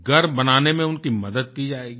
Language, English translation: Hindi, They will be assisted in construction of a house